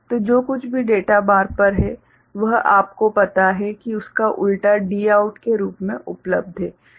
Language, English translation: Hindi, So, whatever is the data bar it is you know inversion is available as Dout